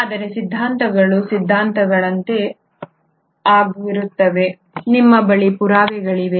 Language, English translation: Kannada, But theories are theories, do you have evidence